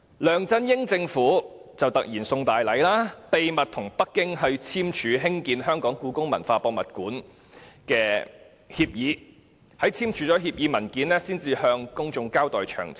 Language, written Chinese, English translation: Cantonese, 梁振英政府卻突然"送大禮"，秘密跟北京簽署興建故宮館的協議，在簽署協議後才向公眾交代詳情。, LEUNG Chun - yings administration however unexpectedly gave us a big gift by secretly entering into an agreement with Beijing on the building of HKPM and details of the agreement were made known to the public after the signing of the agreement